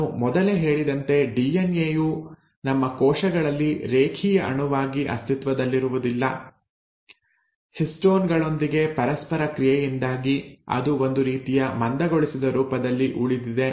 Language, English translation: Kannada, Now DNA as I had mentioned earlier also, does not exist as a linear molecule in our cells, it kind of remains in a condensed form because of its interaction with histones